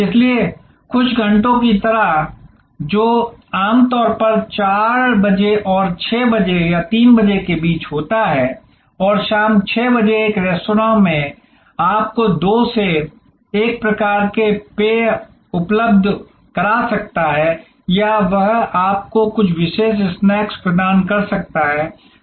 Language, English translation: Hindi, So, like happy hours, which is usually between 4 PM and 6 PM or 3 PM and 6 PM in a restaurant may provide you 2 for 1 type of deal in drinks or it can provide you certain special snacks at special prices and so on